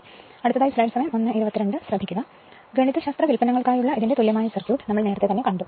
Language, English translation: Malayalam, So, this equivalent circuit of this one for mathematical derivations, we have seen earlier